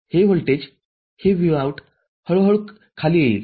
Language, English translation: Marathi, This voltage, this Vout will slowly come down